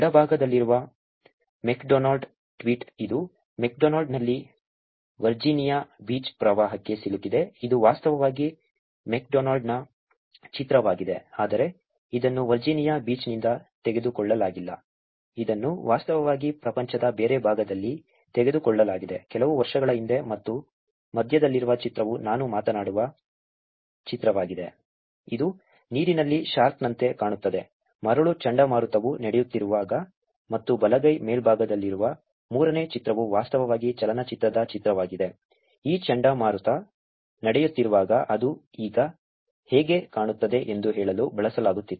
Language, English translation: Kannada, The one on the left which is McDonalds the tweet, which is ‘McDonalds in Virginia beach flooded, which is actually a picture of McDonalds, but it was not taken from Virginia beach, it is actually taken somewhere else in the other part of the world few years before and the image in the middle is the image that I will talk about, which looks like a shark in the water, while the hurricane sandy was going on and the third image on the right hand top is actually the image from a movie which was used to say that is how it looks now, when this hurricane is going on